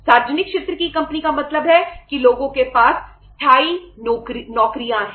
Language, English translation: Hindi, Public sector company means people have the permanent jobs